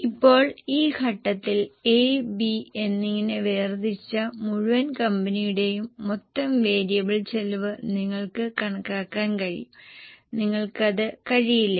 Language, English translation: Malayalam, Now at this stage you will be able to compute the total variable cost for the whole company segregated into A and B